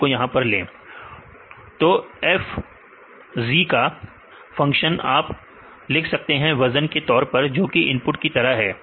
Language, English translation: Hindi, So, the function f of z this you can write right in terms of the weight as the inputs